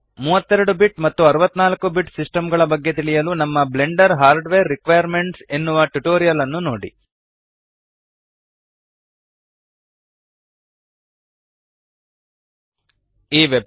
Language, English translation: Kannada, To understand about 32 BIT and 64 BIT systems, see our Tutorial on Blender Hardware Requirements